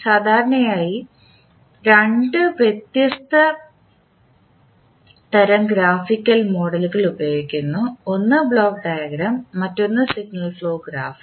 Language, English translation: Malayalam, So, generally we use two different types of Graphical Models, one is Block diagram and another is signal pro graph